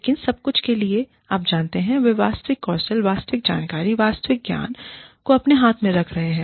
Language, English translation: Hindi, But, for everything, you know, they are keeping the actual skills, the actual information, the actual knowledge, in their own hands